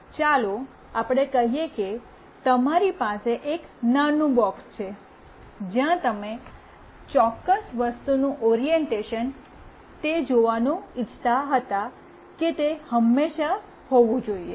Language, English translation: Gujarati, Let us say you have a small box in place where you wanted to see that the orientation of that particular thing should always be like … the head of that particular thing should be at the top